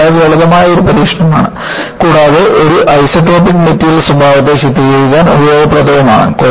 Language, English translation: Malayalam, This is a very simple test and useful to characterize an isotropic material behavior